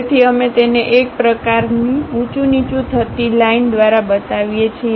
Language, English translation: Gujarati, So, we show it by a kind of wavy kind of line